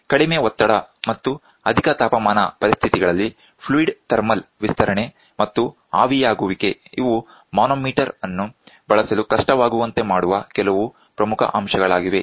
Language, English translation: Kannada, Thermal expansion of the fluid and evaporation of the fluid at low pressure and high temperature conditions, these are some of the very important points which make difficulty in using manometer